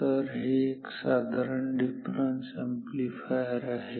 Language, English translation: Marathi, So, this is just a difference amplifier